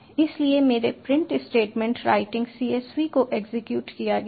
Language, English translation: Hindi, so my print statement writing csv has been executed